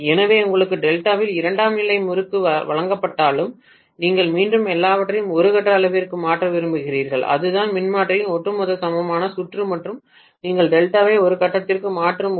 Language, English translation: Tamil, So even if you are given a secondary winding in delta you would again like to convert everything into per phase quantity and that is how you will draw the overall equivalent circuit of the transformer and when we are converting delta into per phase